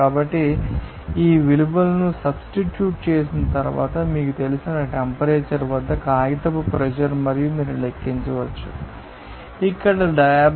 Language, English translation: Telugu, So, after substitution of these values you can calculate that you know paper pressure at that temperature you know, here 52